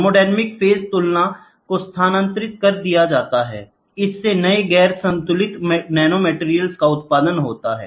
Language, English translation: Hindi, Thermodynamic phase equilibrium is shifted, this allows production of new non equilibrium materials nanomaterials allows it